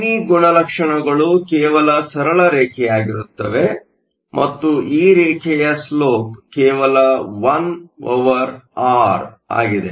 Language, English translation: Kannada, So, the I V characteristics will just be a straight line and the slope of this line will be just 1 over R